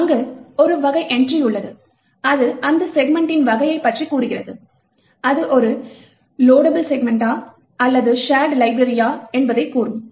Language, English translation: Tamil, There is a type entry which tells you the type of that particular segment, whether that segment is a loadable segment is a shared library and so on